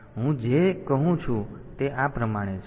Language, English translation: Gujarati, So, what I say is like this